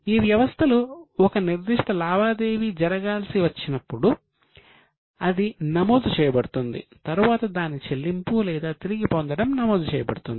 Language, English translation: Telugu, As in when a particular transaction is due, it needs to be recorded and afterwards its payment or receipt is recorded